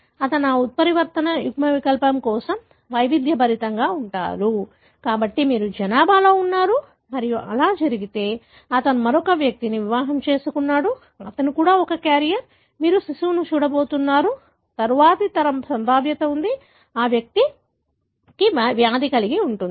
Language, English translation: Telugu, He is heterozygous for that mutant allele, so you have in the population and if it so happens that he marries another individual, who is also a carrier, you are going to see the baby, the next generation there is a probability that, that individual would have the disease